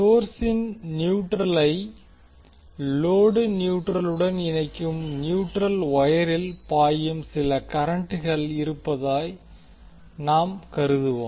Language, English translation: Tamil, We will also assume there is some current IN which is flowing in the neutral wire connecting neutral of the source to neutral of the load